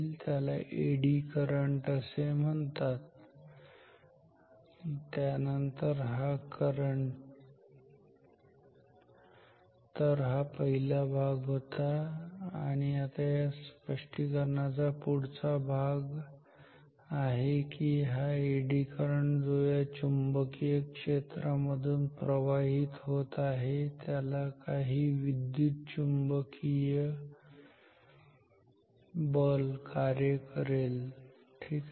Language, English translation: Marathi, Therefore, some current flows in the conductor which we call the Eddy current and then this current, so this is the first part and the next part of this explanation is that this Eddy current which is flowing under a magnetic field will experience some electromagnetic force ok